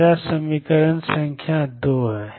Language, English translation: Hindi, This is my equation number 2